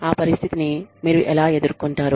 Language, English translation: Telugu, How do you deal with that situation